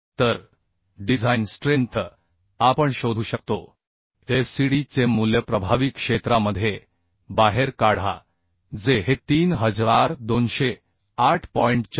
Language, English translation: Marathi, 62 So the design strength we can find out the fcd value into effective area that is becoming this 3208